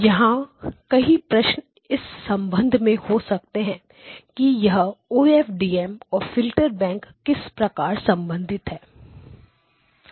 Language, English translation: Hindi, Now there were couple of questions with respect to how the OFDM and the filter bank are related